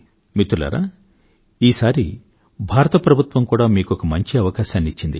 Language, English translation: Telugu, Friends, this time around, the government of India has provided you with a great opportunity